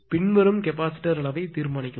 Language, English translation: Tamil, 92 determine the following the capacitor size required